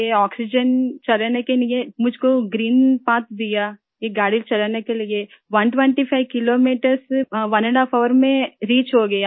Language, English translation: Hindi, I was given green path to drive this oxygen, I reached 125 kilometres in one and a half hour with this train